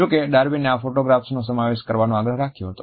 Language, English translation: Gujarati, However, Darwin had insisted on including these photographs